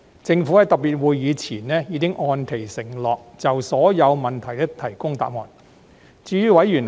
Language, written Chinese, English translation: Cantonese, 政府在特別會議前已按其承諾就所有問題提供答覆。, The Administration according to the undertaking it made earlier submitted replies to all questions before the special meetings